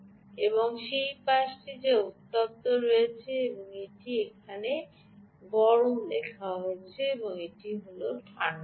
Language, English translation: Bengali, this is the ah, this is the side which is the hot side and its return here hot, and this is the cold side, ah